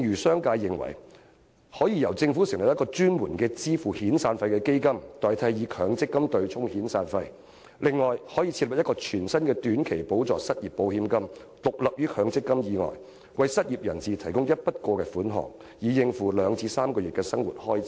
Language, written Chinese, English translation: Cantonese, 商界認為，政府可成立一個專門支付遣散費的基金，代替以強積金對沖遣散費的安排，亦可設立全新的短期補助失業保險金，獨立於強積金制度以外，為失業人士提供一筆過款項，以應付2個月至3個月的生活開支。, The business sector thinks that the Government can set up a specific fund for severance payment so as to replace the arrangement of using MPF to offset severance payment . It can also set up a new short - term supplementary unemployment insurance fund independent of MPF to provide unemployed workers with a one - off payment to meet their living expenses for two to three months